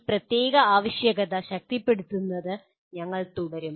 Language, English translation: Malayalam, We will continue to reinforce this particular requirement